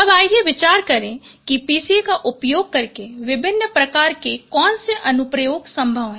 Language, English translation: Hindi, Now let us consider what are different kinds of applications those are possible using PCA